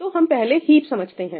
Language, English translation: Hindi, So, let us understand heap first